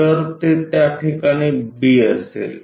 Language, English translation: Marathi, So, it will be at that location B